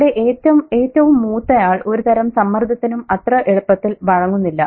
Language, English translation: Malayalam, So the eldest doesn't easily buckle down to any kind of pressure